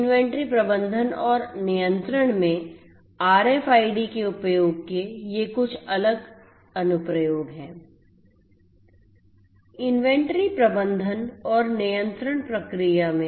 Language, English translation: Hindi, There are different applications of RFIDs in the inventory management and control process